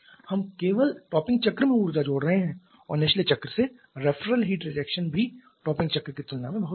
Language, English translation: Hindi, We are adding energy only to the topping cycle and also referral heat rejection from the bottoming cycle is much lesser compared to the topping cycle